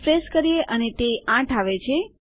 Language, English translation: Gujarati, Refresh and that will be 8